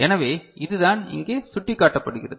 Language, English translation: Tamil, So, this is what is indicated here